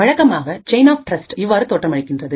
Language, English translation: Tamil, A typical chain of trust looks something like this